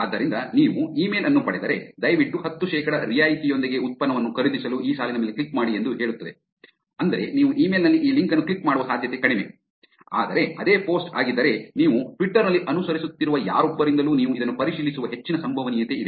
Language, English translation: Kannada, So, the idea is that if you get an email of which is which says that please click on this line for buying a product with 10 percent discount that is low probability of you clicking on this link at the email, whereas if the same post is coming from somebody whom you are following on Twitter there is a high probability that you are going to actually check this up